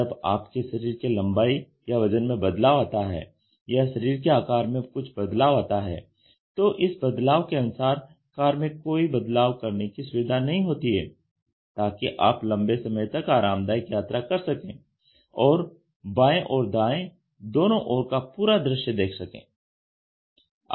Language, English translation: Hindi, When there is a small variation in your height, weight or in your body to mass index or your shape of the body, there is no provision in the car to customize it such that you can have a comfortable journey for a longer time and you also have a complete view both in your right hand side and left hand side